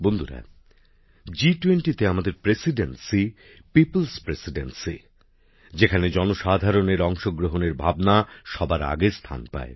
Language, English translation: Bengali, Friends, Our Presidency of the G20 is a People's Presidency, in which the spirit of public participation is at the forefront